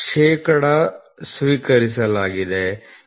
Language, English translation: Kannada, 10 percent is accepted, 0